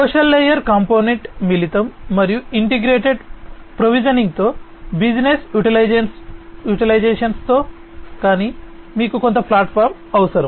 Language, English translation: Telugu, So, social layer component is combined is integrated, with the provisioning, with the provision of business utilizations, but then you need some kind of a platform